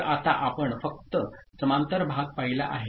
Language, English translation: Marathi, So, right now we have seen parallel load only